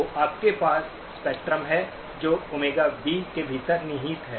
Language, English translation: Hindi, So you have the spectrum that is contained within Omega B